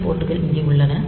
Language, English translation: Tamil, So, the some ports are like here